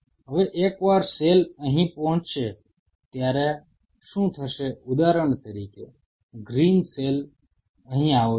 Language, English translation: Gujarati, Now, what will happen once the cell will approach here say for example, a green cell approaches here